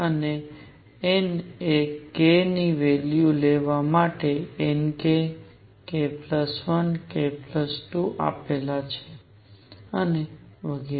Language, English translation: Gujarati, Also n for a given k who took values n k, k plus 1, k plus 2 and so on k plus n r